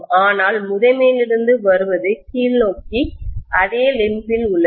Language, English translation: Tamil, But what is coming from the primary is downward, in the same limb